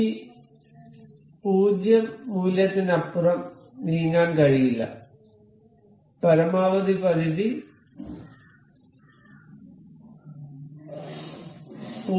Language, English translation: Malayalam, So, it cannot move beyond this 0 value and maximum limit was 0